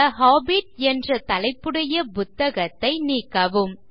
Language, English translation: Tamil, Delete the book that has the title The Hobbit 3